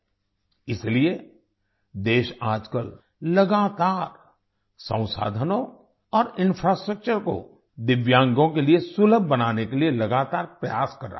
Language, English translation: Hindi, That is why, the country is constantly making efforts to make the resources and infrastructure accessible to the differentlyabled